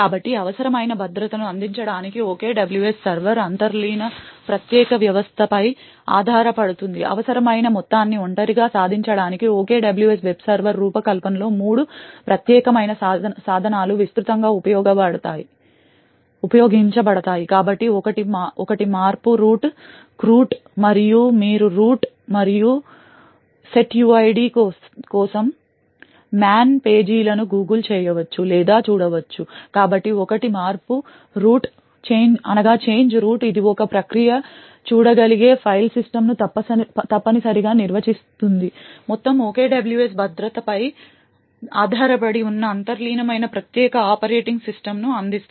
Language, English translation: Telugu, So the OKWS server relies on the underlying unique system to provide the necessary security, three unique tools are used extensively during the design of the OKWS web server in order to achieve the required amount of isolation, so one is the change root, chroot and you can google or look up the man pages for change root and setuid, so one is the change root which essentially defines the file system a process can see, the entire OKWS security is based on the security that the underlying unique operating system provides